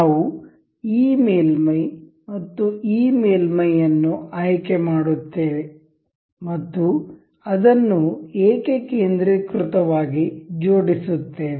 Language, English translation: Kannada, We will select this surface and this surface, and will mate it up as concentric